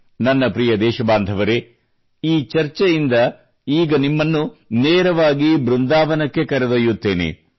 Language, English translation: Kannada, My dear countrymen, in this discussion, I now straightaway take you to Vrindavan